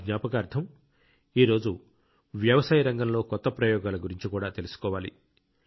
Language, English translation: Telugu, In his memory, this day also teaches us about those who attempt new experiments in agriculture